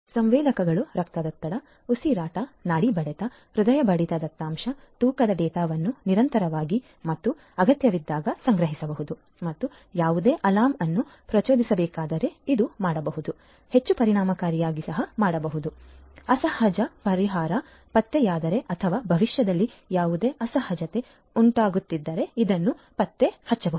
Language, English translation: Kannada, Sensors can collect blood pressure, respiration, pulse rate, health sorry heart rate data, weight data continuously and as and when required, if any alarm has to be triggered this can be done this can be done in a much more efficient manner and this can be done if any abnormal solution is detected or any abnormality is going to arise in the future, predictively this can also be done